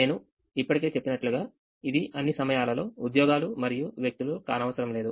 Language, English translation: Telugu, as i already mentioned, it need not be jobs and people all the time